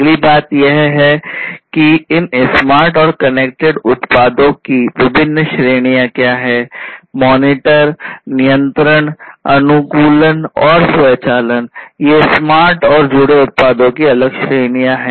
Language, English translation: Hindi, The next thing is that; what are the different categories of these smart and connected products; monitor, control, optimization, and automation; these are these different categories of smart and connected products